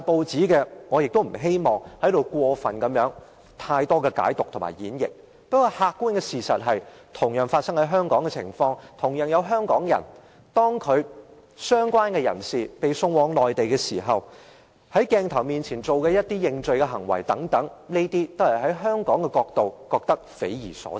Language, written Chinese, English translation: Cantonese, 此事廣經報道，我也不想在此作太多解讀或演繹，但客觀的事實是，這事件同樣發生在香港，同樣涉及香港人，相關人士被送往內地，在鏡頭面前作出認罪等，這些從香港人的角度來看，是匪夷所思的。, I do not wish to make too much analysis or interpretation here . But the objective fact is that this incident similarly took place in Hong Kong and involved Hongkongers . The persons concerned were taken to the Mainland made a confession in front of the camera etc